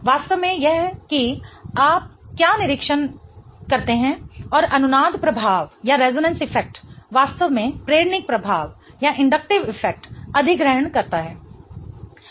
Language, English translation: Hindi, In fact, that is what you observe and the resonance effect really takes over the inductive effect